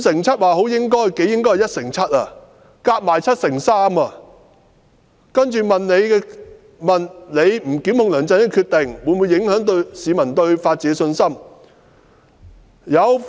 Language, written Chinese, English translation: Cantonese, 再下來的問題是："律政司司長不檢控梁振英的決定，會否影響市民對法治的信心？, Subsequent to that question respondents were asked whether the Secretary for Justices decision of not prosecuting LEUNG Chun - ying would affect peoples confidence in the rule of law